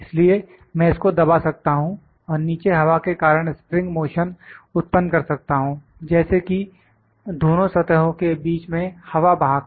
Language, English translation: Hindi, So, it can compress and produce spring motion due to air blow, like there is air blow between the two surfaces